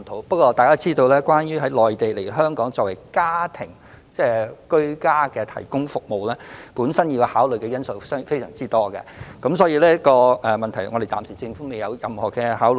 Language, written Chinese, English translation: Cantonese, 不過，大家也知道，從內地輸入傭工來港提供居家服務，本身需要考慮的因素非常多，所以政府暫時未有就此作出任何考慮。, However as Members also know a lot of factors need to be considered when importing helpers to Hong Kong from the Mainland to provide home - based services so the Government has not given any consideration to this for the time being